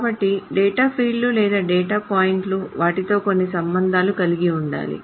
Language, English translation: Telugu, So the data fields or the data points must have some connections with them